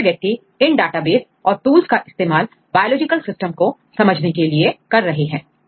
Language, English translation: Hindi, So, many people use these databases and as well as the tools, try to understand any biological systems